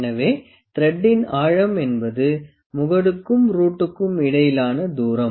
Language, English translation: Tamil, So, the depth of thread is the distance between the crest and root